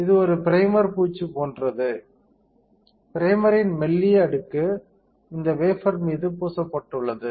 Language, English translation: Tamil, So, this is a like a primer coating, a thin layer of primer is coated onto this wafer